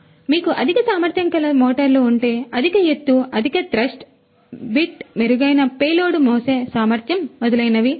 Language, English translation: Telugu, So, if you have higher capacity motors that will give you know higher you know altitude, the higher thrust, you know bit better payload carrying capacity and so on